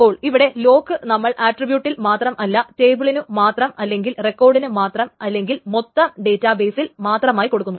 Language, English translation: Malayalam, So the lock may be applied to only an attribute or to a table or to a record or to the entire database and so on and so forth